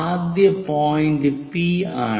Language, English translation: Malayalam, So, the first point is here P again